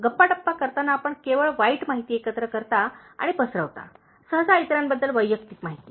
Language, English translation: Marathi, In gossiping, you gather and spread only bad information, usually personal information about others